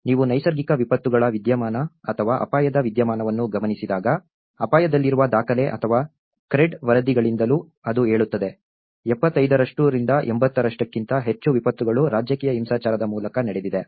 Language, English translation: Kannada, When you look at the natural disasters phenomenon or the risk phenomenon, even from the document of at risk or the CRED reports, it says almost more than 75% to 80% of the disasters are through the political violence